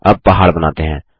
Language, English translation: Hindi, Next let us draw a mountain